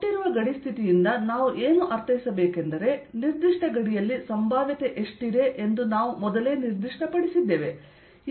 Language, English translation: Kannada, what we mean by given boundary condition means that we have specified that on a given boundary what is the potential